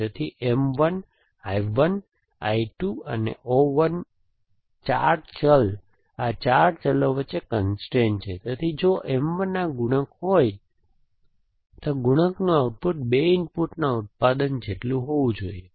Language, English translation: Gujarati, So, M 1, I 1, I 2 and O 1, 4 variables, this is a constrain between 4 variable, so if M 1, if the